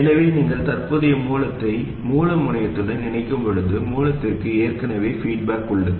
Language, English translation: Tamil, So, when you connect a current source to the source terminal, there is already feedback to the source